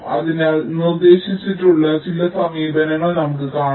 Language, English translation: Malayalam, so these are some methods which have been proposed